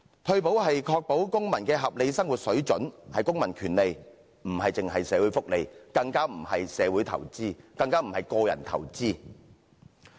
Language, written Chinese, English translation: Cantonese, 退保是確保公民的合理生活水準，是公民權利，不止是社會福利，更不是社會投資，更不是個人投資。, Retirement protection ensures citizens standard of living at a reasonable level . It is a civil right not just social welfare and definitely not social investment or personal investment